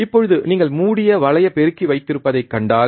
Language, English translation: Tamil, Now, if you see that we will have close loop amplifier